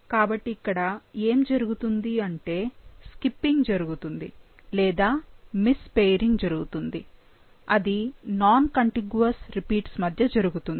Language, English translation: Telugu, So, what happens is that there is a slippage that happens and there is a miss pairing, between the, pairing happens between the non contiguous repeats